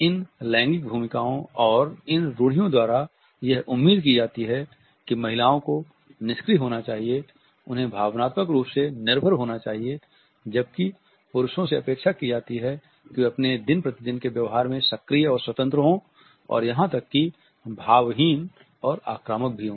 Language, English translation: Hindi, These gender roles and these stereotypes expect that women should be passive they should be dependent emotional, whereas men are expected to be active and independent unemotional and even aggressive in their day to day behavior